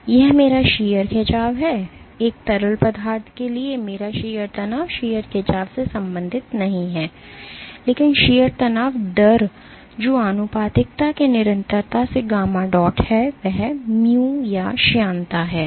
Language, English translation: Hindi, So, this is my shear strain, for a fluid my shear stress is related to not the shear strain, but the shear strain rate which is gamma dot by the constant of proportionality which is mu or the viscosity